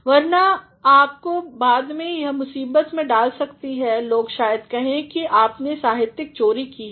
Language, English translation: Hindi, Otherwise, it may land you into trouble people may say that you have plagiarized